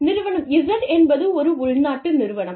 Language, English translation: Tamil, And, Firm Z is a domestic firm